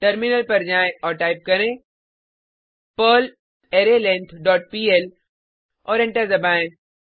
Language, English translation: Hindi, Switch to terminal and type perl arrayLength dot pl and press Enter